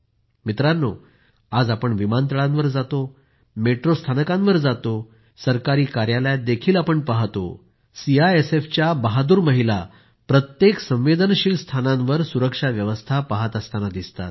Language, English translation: Marathi, Friends, today when we go to airports, metro stations or see government offices, brave women of CISF are seen guarding every sensitive place